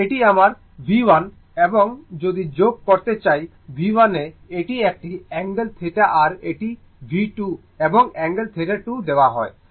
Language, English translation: Bengali, Suppose this is my V 1, I want to add your this is my V 1, it is the angle theta one and this is by V 2, and angle it is given theta 2